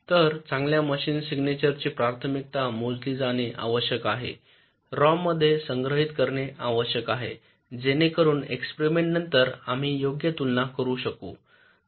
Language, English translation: Marathi, so the good machine signature must be computed a priori and stored in a rom so that after the experiment we can compare right